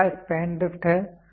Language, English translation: Hindi, So, next is span drift